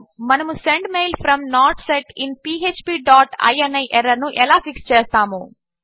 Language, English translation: Telugu, How do we fix this Sendmail from not set in php dot ini error